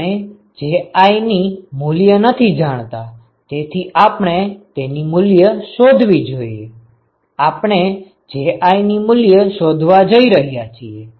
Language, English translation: Gujarati, We do not know so we want to find out Ji, we are going to find Ji